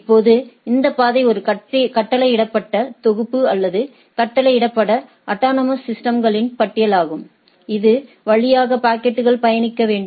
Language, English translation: Tamil, Now, this path is a ordered set or ordered list of autonomous systems that the packet need to travel through, right